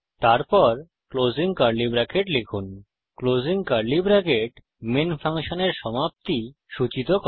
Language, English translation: Bengali, Then Type closing curly bracket } The closing curly bracket indicates the end of the function main